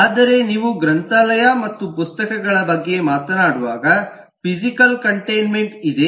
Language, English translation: Kannada, but when you talk about library and books, then there is a physical containment